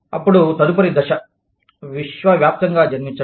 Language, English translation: Telugu, Then, the next stage is, born global